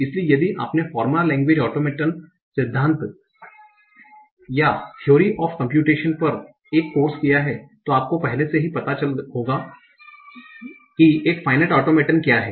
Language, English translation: Hindi, So if you have taken a course on formal languages, automated theory or theory of computation, you might already be aware of what is a final state automaton